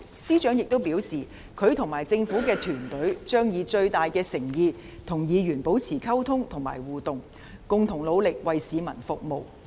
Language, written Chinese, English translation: Cantonese, 司長亦表示，他和政府團隊將以最大的誠意與議員保持溝通和互動，共同努力為市民服務。, The Chief Secretary also stated that he and the Government team will work to maintain communication and interaction with Members with the utmost sincerity and to make concerted efforts to serve the public